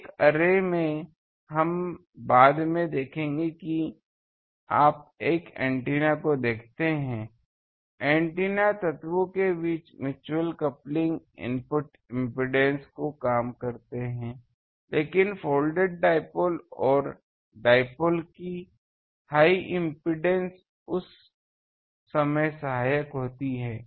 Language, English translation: Hindi, In an array, we will see later when you see the antenna, the mutual coupling between the antenna elements they decrease the input impedance but folded dipoles higher impedance is helpful that time